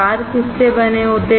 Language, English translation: Hindi, What are the wires made up of